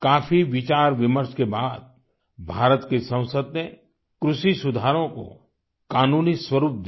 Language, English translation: Hindi, After a lot of deliberation, the Parliament of India gave a legal formto the agricultural reforms